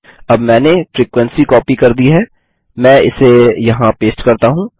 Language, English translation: Hindi, Now I have copied the frequency , so let me paste it here